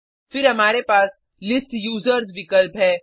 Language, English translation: Hindi, Then we have the option List Users